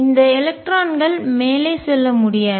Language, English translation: Tamil, This electron cannot move up cannot move up